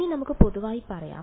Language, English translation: Malayalam, Now let us make it general